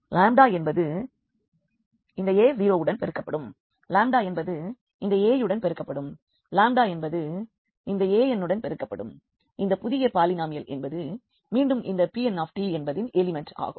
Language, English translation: Tamil, The lambda will be multiplied to this a 0, lambda will be multiplied to a 1, the lambda will be multiplied to this to this a s here and this new polynomial will be again an element of this P n t